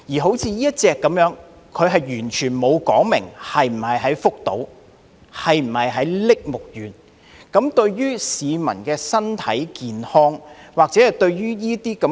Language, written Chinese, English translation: Cantonese, 好像這款飲品，是完全沒有說明是否在福島或栃木縣製造，對於市民的身體健康會否有影響？, Just like this kind of beverage there is no mentioning of whether it is produced in Fukushima or Tochigi at all . Will this have any impact on the health of the public?